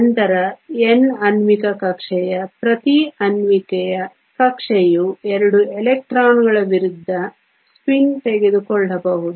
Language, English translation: Kannada, Then you will have N molecular orbitalÕs each molecular orbital can take 2 electrons of opposite spin